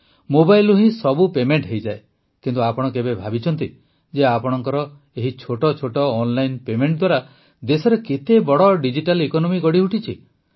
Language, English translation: Odia, All payments are made from mobile itself, but, have you ever thought that how big a digital economy has been created in the country due to these small online payments of yours